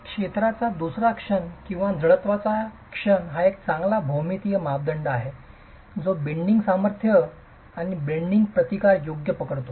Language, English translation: Marathi, The second moment of area, a moment of inertia is a good geometrical parameter that captures the bending strength, the bending resistance, right